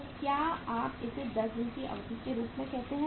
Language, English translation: Hindi, So this is you call it as how much duration this is 10 days